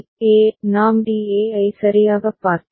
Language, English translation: Tamil, So, DA; if we look at the DA right